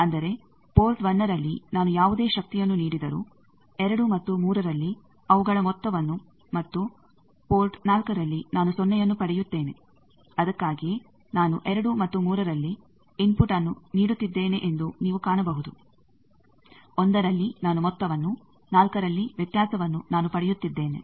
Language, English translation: Kannada, That means, at port 1 whatever power I am giving at 2 and 3 their sum I am getting and at port 4 I am getting 0; that is why you see that I am giving input at 2 and 3, at 1 I am getting sum, at 4 I am getting difference